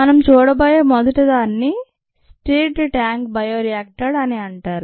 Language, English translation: Telugu, the first one that we are going to look at is called the stirred tank bioreactor